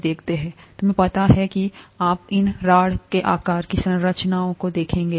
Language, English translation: Hindi, You know you’ll see these rod shaped structures here